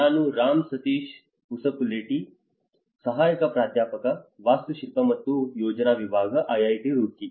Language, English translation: Kannada, I am Ram Sateesh Pasupuleti, assistant professor, department of Architecture and Planning, IIT Roorkee